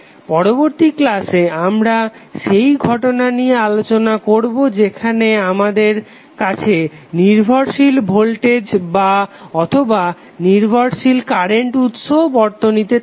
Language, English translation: Bengali, In next session we will discuss the case where we have dependent voltage or dependent current source is also available in the circuit